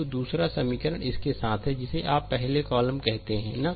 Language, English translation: Hindi, So, second equation is your along the your what to you call the first column, right